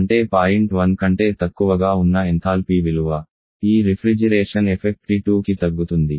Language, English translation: Telugu, That is the enthalpy value there is less than point one to refrigeration effect decrease for this T2